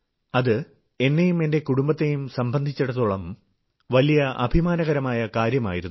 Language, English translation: Malayalam, It was a matter of great pride for me and my family